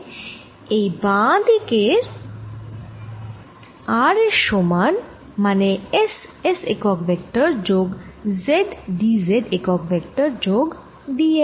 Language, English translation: Bengali, and this is equal to, on the left hand side, r, which is s unit vector, s plus z d z plus d l